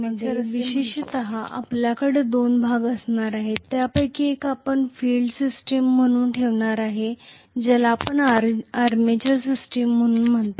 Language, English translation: Marathi, So specifically we are going to have two portions in the electrical machine, we are going to have one of them as field system the other one we call that as armature system